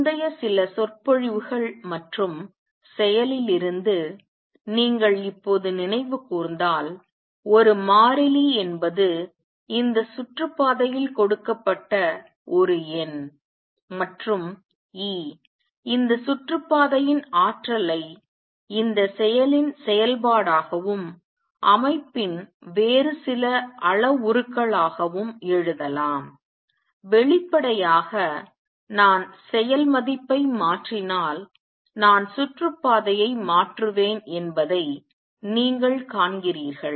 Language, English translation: Tamil, If you just recall from previous few lectures and action, therefore, is a constant is a number is a number given for this orbit and E the energy for this orbit can be written as a function of this action and some other parameters of the system; obviously, you see that if I change the action value, I will change the orbit